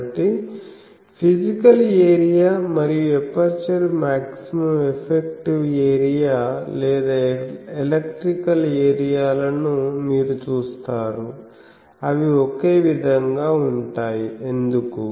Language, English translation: Telugu, So, you see that physical area and the aperture the maximum effective or electrical area, they are same; why